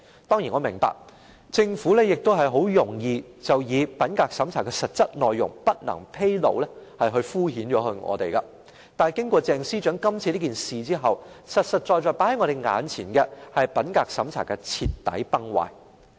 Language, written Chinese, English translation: Cantonese, 當然我明白，政府很容易以品格審查的實質內容不能披露來敷衍我們，但經過鄭司長今次的事件後，實實在在放在我們眼前的，是品格審查制度的徹底崩壞。, I certainly understand that the Government may reply perfunctorily by saying that the details of integrity check should not be disclosed but following the current incident concerning Ms CHENG the fact has been laid bare that the integrity checking system has totally crumbled